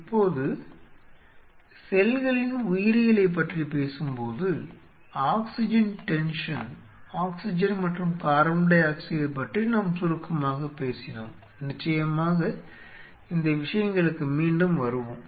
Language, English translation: Tamil, Now, while talking about the biology of the cells we talked about the oxygen tension, oxygen and carbon dioxide very briefly of course, we will come back to this thing